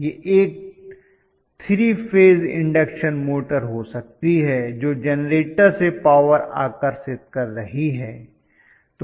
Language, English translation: Hindi, It can be a motor 3 phase induction motor may be drawing a power from the generator